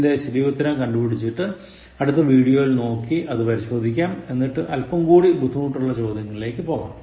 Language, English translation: Malayalam, So, identify the correct answers and then in the next video, let us check the correct answers and then go for slightly tougher ones